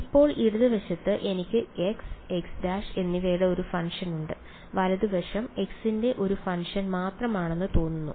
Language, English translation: Malayalam, So now, on the left hand side I have a function of x and x prime, right hand side seems to be only a function of x